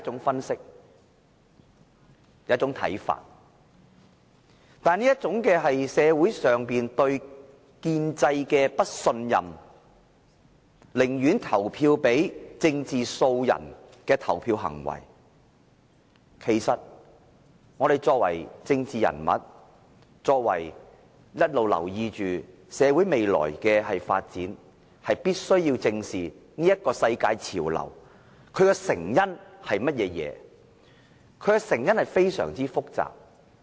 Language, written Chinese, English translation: Cantonese, 然而，對於這種社會普遍對建制的不信任，寧願投票給政治素人的投票行為，我們作為政治人物，必須一直留意社會未來的發展，以及要正視這個世界潮流的成因為何，而其成因是非常複雜的。, However as to the behaviour of casting votes to a novice politician due to the general mistrust in the society at large towards the establishment we politicians should pay heed to the future development in society and face up to the causes of global trends . These causes are generally very complicated